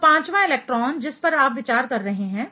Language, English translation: Hindi, So, the fifth electron you are considering